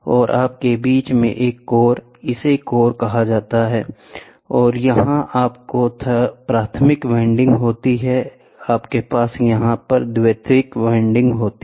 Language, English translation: Hindi, And in between you have a core, this is called the core, ok and here you will have primary winding and you will have secondary winding